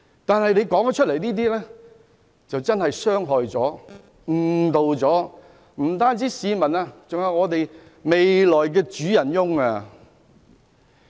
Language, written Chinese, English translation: Cantonese, 但是，他所說的話傷害、誤導了市民，包括香港未來的主人翁。, That said his words have hurt and misled members of the public including the future masters of Hong Kong